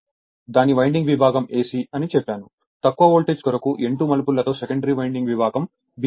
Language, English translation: Telugu, I told you winding section AC with N 2 turns tapped for a lower voltage secondary winding section BC this I told you